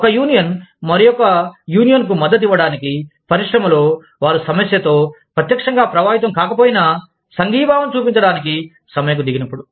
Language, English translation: Telugu, When one union, goes on strike, to support another union, in the industry, even if they are not directly affected by the issue